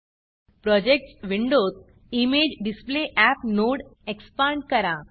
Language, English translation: Marathi, In the Projects window, expand the ImageDisplayApp node